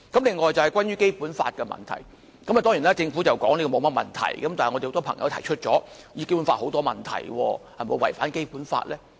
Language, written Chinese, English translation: Cantonese, 此外就是關於《基本法》的問題，政府當然說沒甚麼問題，但很多朋友也指出涉及《基本法》有很多問題，有關安排是否違反《基本法》呢？, Furthermore there is the issue concerning the Basic Law . Of course the Government will say that it is fine but many people have pointed out the numerous problems in this issue relating to the Basic Law . Will the arrangement violate the Basic Law?